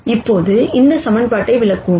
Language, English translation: Tamil, Now let us interpret this equation